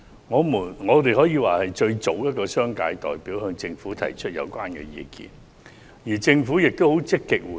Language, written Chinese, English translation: Cantonese, 我們可以說是最早向政府提出有關意見的商界代表，而政府也很積極回應。, It can be said that we are the first business representatives to put forward the relevant views to the Government which responded very positively